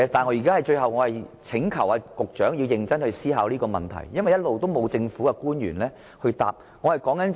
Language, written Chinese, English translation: Cantonese, 我最後就是請求局長思考這個問題，因為一直以來從未有政府官員回答這問題。, Last of all I beg the Secretary to consider the following question which no government official has answered so far